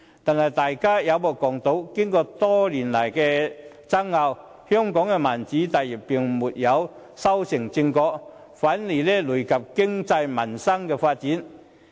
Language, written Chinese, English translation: Cantonese, 然而，大家有目共睹，經過多年的爭拗，香港的民主大業並未修成正果，反而累及經濟民生的發展。, However as we all see controversies have lasted for years but the great mission of building a democratic Hong Kong still bears no fruit . On the contrary local economic development and peoples livelihood have to suffer as a result